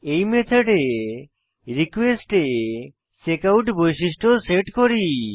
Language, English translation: Bengali, In this method, we set the checkout attribute into the request